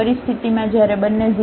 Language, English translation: Gujarati, In the situation when both are 0